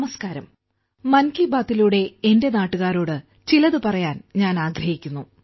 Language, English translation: Malayalam, Namaskar I want to say something to my countrymen through 'Mann Ki Baat'